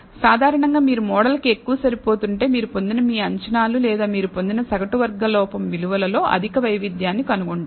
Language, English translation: Telugu, So, typically if you over fit the model, you will find high variability in your estimates that you obtain or the mean squared error values that you obtain